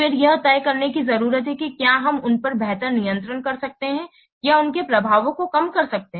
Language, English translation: Hindi, Then with a need to decide whether we can exercise better control over them or otherwise mitigate their update